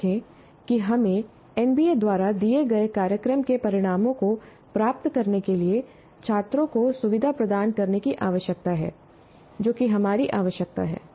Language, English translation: Hindi, And remember that we need to facilitate students to attain program outcomes as given by NBA